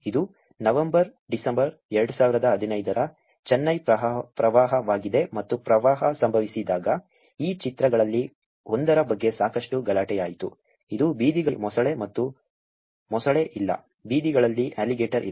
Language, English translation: Kannada, This is Chennai floods November December 2015 and when the floods happen there was a lot of uproar about one of these pictures, which is crocodile on the streets and there is no crocodile, there is no alligator on streets